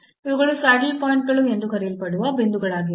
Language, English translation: Kannada, So, these are the points called saddle points